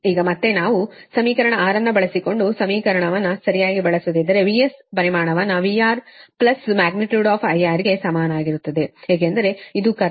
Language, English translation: Kannada, now again, if we using using equ[ation] equation six, right, using equation six, we can write: magnitude of v s is equal to magnitude v r plus magnitude i r, because this is the current